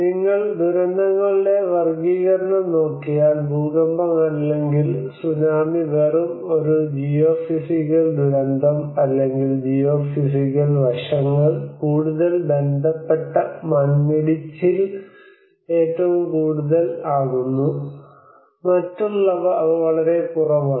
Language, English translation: Malayalam, If you look at the classification of the disasters, It is just a geophysical disaster which we are talking about the earthquake or the tsunami or these are most of the landslides which are more related to the geophysical aspects of it, and they are very less